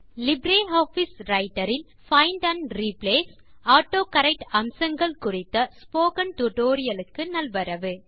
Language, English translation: Tamil, Welcome to the Spoken tutorial on LibreOffice Writer – Using Find and Replace feature and the AutoCorrect feature in Writer